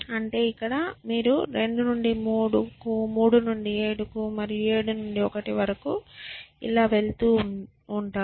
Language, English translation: Telugu, So, here you go from 2 to 3, 3 to 7, and 7 to 1, and 7 and so on